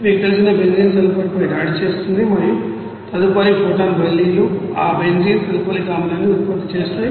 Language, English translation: Telugu, And the benzene you know attacks the sulfur and subsequent photon transfers occur to produce that benzene sulfonic acid